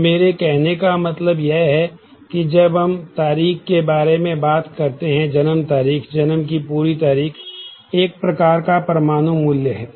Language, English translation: Hindi, So, what I mean is say when we are talking about date of birth the whole date of birth type the date type is one atomic value